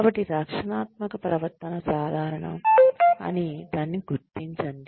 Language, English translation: Telugu, So, recognize that, the defensive behavior is normal